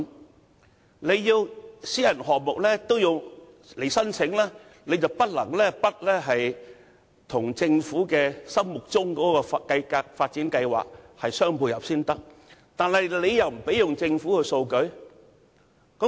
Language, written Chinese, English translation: Cantonese, 由於當局要求私人項目必須申請，他們不得不與政府心目中的發展計劃互相配合，但當局卻不容許他們使用政府的數據。, As the authorities require applications be submitted for all private projects they cannot but try to cope with the intended development plan of the Government yet the authorities do not allow them to use the data of the Government